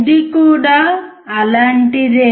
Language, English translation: Telugu, It is similar